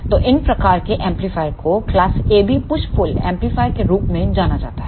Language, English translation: Hindi, So, these type of amplifiers are known as the class AB push pull amplifiers